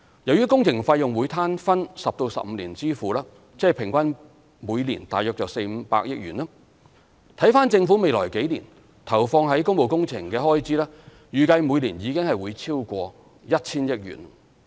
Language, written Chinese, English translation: Cantonese, 由於工程費用會攤分10至15年支付，即平均每年大約400億元至500億元，而政府未來數年投放於工務工程的開支預計每年已經會超過 1,000 億元。, The construction cost will be paid over 10 to 15 years ie . an average of about 40 billion to 50 billion per year and it is estimated that in the next few years government expenditure on public works will have exceeded 100 billion per year